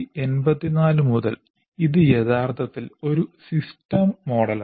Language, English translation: Malayalam, So from 1984, it is a truly system model